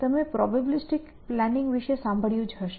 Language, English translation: Gujarati, So, you must have heard about probabilistic planning